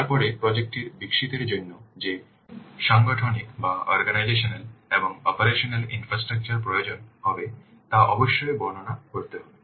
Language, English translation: Bengali, Then the organizational and operational infrastructure that will be required to develop the project that must be described